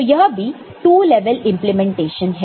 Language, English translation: Hindi, So, this is also two level implementation